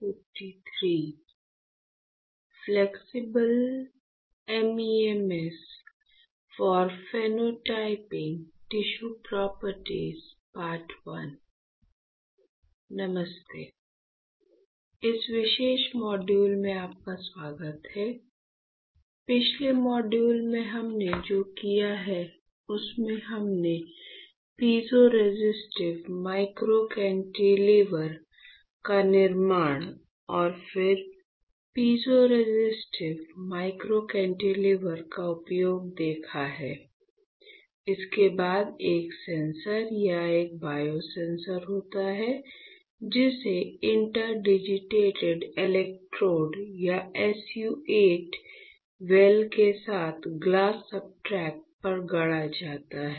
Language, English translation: Hindi, Hi welcome to this particular module, in the last module what we have done we have seen the fabrication of piezoresistive microcantilever and then the use of piezoresistive microcantilever; followed by a sensor or a biosensor fabricated on a glass substrate with interdigitated electrodes and SU 8 well right